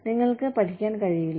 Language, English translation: Malayalam, You just cannot, not learn